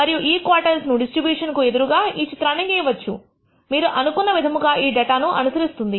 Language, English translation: Telugu, And then plot these quantiles against the distribution which you think this data might follow